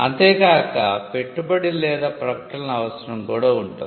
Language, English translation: Telugu, And always there is also an investment or an advertising function